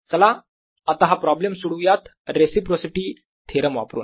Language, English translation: Marathi, only let us now do this problem using reciprocity theorem